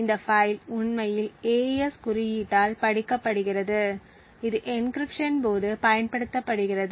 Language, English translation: Tamil, This file is actually read by the AES code and it is used during the encryption